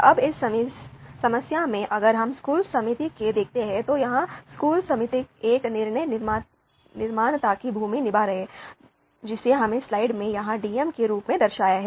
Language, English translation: Hindi, Now in this problem if we look at the school committee, so here school committee is playing the role of a decision maker which we have denoted as DM here in the slide